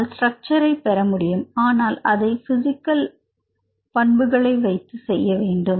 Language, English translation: Tamil, You can get the structure, but we need to do from the sequence based on physical principles